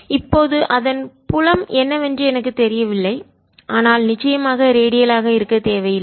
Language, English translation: Tamil, now i don't know what the field is, but certainly need not be radial